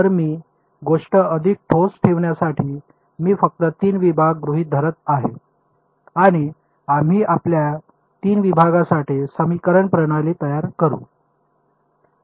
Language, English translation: Marathi, So, to keep things very concrete what I am going to do is I am going to assume 3 segments just 3 segments and we will build our system of equations for 3 segments